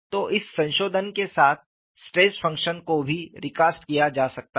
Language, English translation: Hindi, So, with this modification, the stress function also can be recast